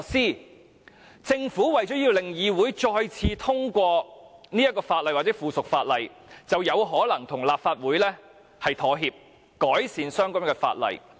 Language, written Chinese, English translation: Cantonese, 如政府要求議會再次通過這些法案或附屬法例，便可能要與立法會妥協，改善相關法案。, If the Government requests this Council to endorse the bill or subsidiary legislation again it may have to make a compromise with this Council to improve the relevant legislation